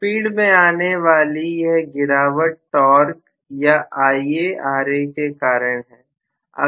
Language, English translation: Hindi, This is the drop in the speed due to torque or Ia R a